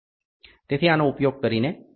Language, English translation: Gujarati, So, using so, this is for M 45